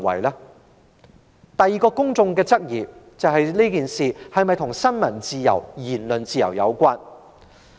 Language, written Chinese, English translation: Cantonese, 公眾的第二個質疑是，這事是否與新聞自由、言論自由有關？, The second doubt of the public is whether this incident is related to freedom of the press and freedom of speech